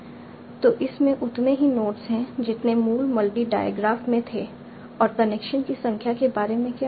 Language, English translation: Hindi, So it has the same number of nodes as were there in the original multi diograph